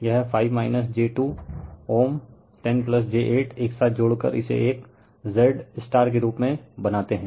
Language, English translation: Hindi, This 5 minus j 2 ohm, 10 plus j 8 you add together make it as a Z star right that is the idea